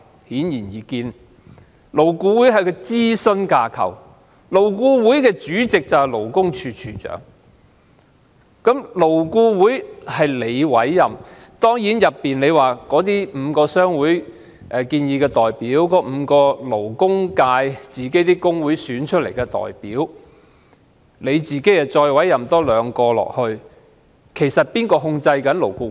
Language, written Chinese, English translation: Cantonese, 顯而易見，勞顧會是一個諮詢架構，主席是勞工處處長，而勞顧會成員是政府委任的，雖然當中包括5名由主要僱主商會提名的委員，以及5名由僱員工會選出的委員，加上兩名由局長委任的委員，但其實誰控制勞顧會呢？, Its Chairman is the Commissioner for Labour and LAB members are appointed by the Government . Among its members five are nominated by major employer associations five are elected by employee unions and two are appointed by the Secretary . But who is actually in control of LAB?